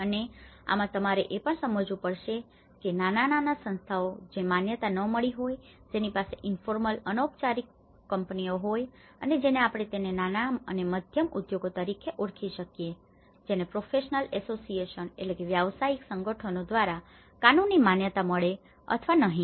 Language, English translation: Gujarati, And in this, you one has to also understand that the small bodies which may not have been recognized, which has about a informal companies like we call it as small and medium enterprises which may or may not legally recognized by the professional associations